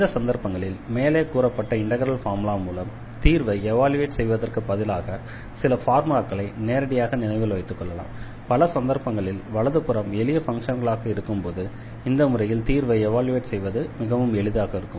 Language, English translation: Tamil, So, in those cases, instead of evaluating this like we have done earlier with the help of that integral formula, we can also directly remember these formulas and that will be much easier in many cases to evaluate when we have the right hand side the simple such simple functions